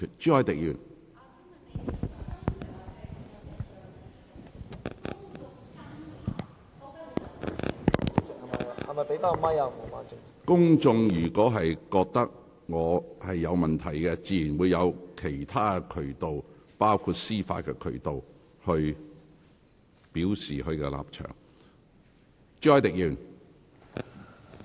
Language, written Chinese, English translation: Cantonese, 如果公眾認為我有問題，自有其他渠道，包括司法渠道，表達他們的立場。, If the public believe there is a problem they will of course have other channels to express their stances including judicial means